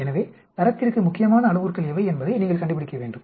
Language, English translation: Tamil, So, you need to find what are the parameters which are critical to quality